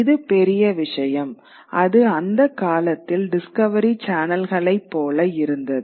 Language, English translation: Tamil, It was like the discovery channels of those times